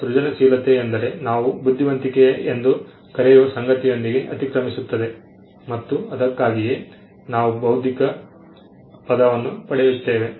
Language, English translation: Kannada, Now creativity can is something that overlaps with what we called intelligence and that is why where we get the term intellectual from